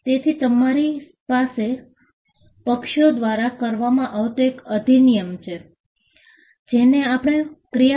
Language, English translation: Gujarati, So, you have an act, which is done by parties, which is what we refer to as interaction